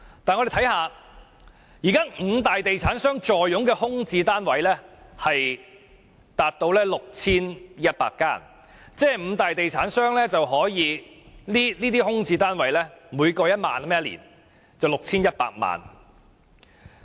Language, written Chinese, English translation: Cantonese, 但現在五大地產商坐擁的空置單位達到 6,100 個，每個空置單位獲豁免差餉達1年1萬元，總數為 6,100 萬元。, At present the five major developers in Hong Kong altogether have 6 100 vacant units . Each unit will be exempted rates for 10,000 for one year and the total amount of rates exempted will be 61 million